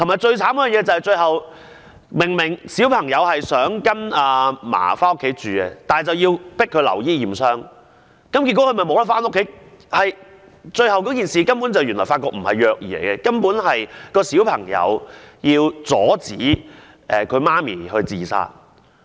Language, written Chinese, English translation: Cantonese, 再者，最可憐的是，小朋友希望到祖母家中居住，但卻被要求留院驗傷，結果無法回家，最後卻發覺事情根本不是虐兒，而是小朋友想阻止母親自殺。, Moreover the poor little child wanted to stay at his grandmothers place but he was ordered to stay at the hospital to receive injury assessment and therefore he could not go home . Eventually the authorities found that it was not an abuse case; instead the child was only trying to prevent his mother from committing suicide